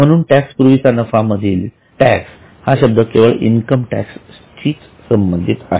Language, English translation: Marathi, So, profit before tax, here the word tax refers to income tax only